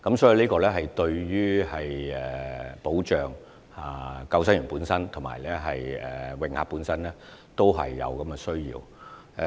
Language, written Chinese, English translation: Cantonese, 這對保障救生員及泳客本身也是有需要的。, Such training is essential in protecting the safety of both lifeguards and swimmers